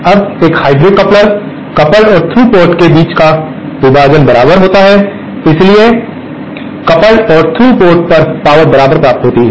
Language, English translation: Hindi, Now, in a hybrid coupler, the division between the coupled and through ports is equal, so coupled and through ports receive same amount of power